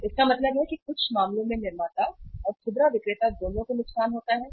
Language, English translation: Hindi, So it means some cases there is a loss to the manufacturer and retailer both